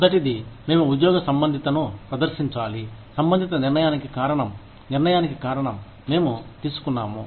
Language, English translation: Telugu, Number one, we must demonstrate, job relatedness for, as the reason for the respective decision, as the reason for the decision, we took